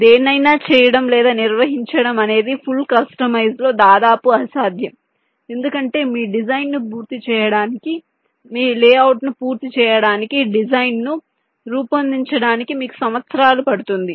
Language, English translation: Telugu, doing it or handling it in a full customer is almost next to imposed, because it will take you years to create a design, to complete your design, complete your layout